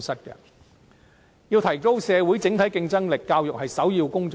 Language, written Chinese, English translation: Cantonese, 要提高社會整體競爭力，教育是首要工作。, To increase the overall competitiveness of society education is the primary task